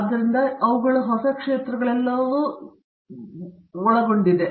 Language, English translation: Kannada, So, they are all kinds of new areas emerging as well